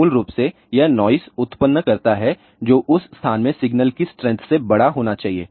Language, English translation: Hindi, Basically, it generates noise which should be larger than the signal strength in that particular location